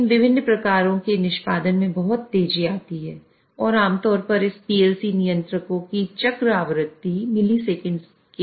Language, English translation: Hindi, This execution of these different rungs takes very fast and typically the cycle frequency of this PLC control is of the order of milliseconds